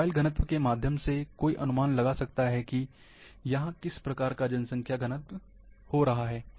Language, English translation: Hindi, Looking through the mobile density, one can estimate, what kind of population density is getting there